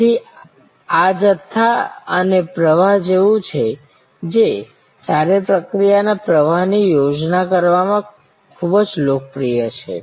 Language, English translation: Gujarati, So, this is like a stock and flow, which is very popular in designing good process flows